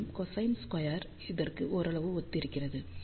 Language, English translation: Tamil, And, cosine squared is somewhat similar to this